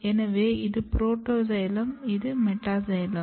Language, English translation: Tamil, So, this is protoxylem, this is metaxylem